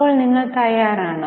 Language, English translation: Malayalam, So, are you prepared